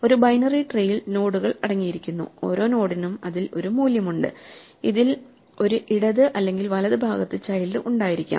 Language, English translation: Malayalam, A binary tree consists of nodes and each node has a value stored in it and it has possibly a left and a right child